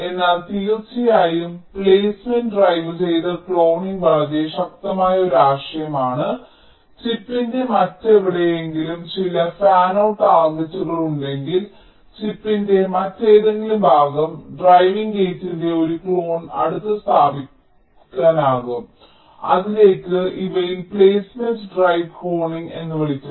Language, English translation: Malayalam, but of course, placement driven cloning is very powerful concept, as we said, that if there are some fanout targets which are located in somehow else of the chip chip, some other part of the chip, then a clone of the driving gate can be placed closer to that